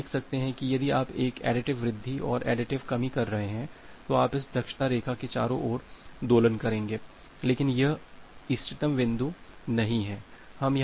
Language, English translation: Hindi, So, you can see that if you are doing a additive increase and additive decrease you will just oscillate around this efficiency line, but that is not the optimal point